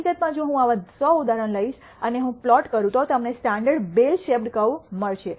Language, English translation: Gujarati, In fact, if I take 100 such examples and I plot, you will nd this standard bell shaped curve